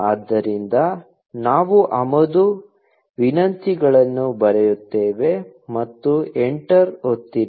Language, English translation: Kannada, So, we write import requests, and press enter